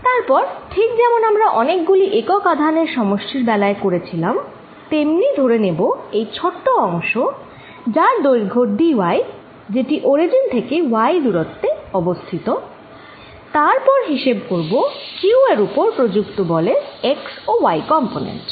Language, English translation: Bengali, Then, as we did in the case of collection of charges, let me take a small element of length dy at this point at a distance y from the origin and calculate the x and y component of the forces, of the force on charge q